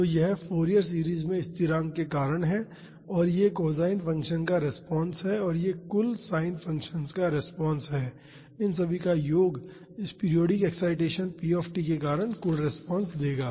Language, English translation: Hindi, So, this is due to the constant in the Fourier series and this is the response to the cosine functions and this is the response to the sin functions the sum of all will give the total response due to this periodic excitation p t